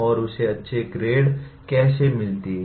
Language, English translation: Hindi, And how does he get a good grade